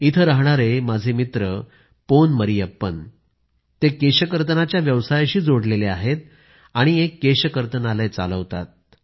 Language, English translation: Marathi, My friend from this town Pon Marriyappan is associated with the profession of hair cutting and runs a salon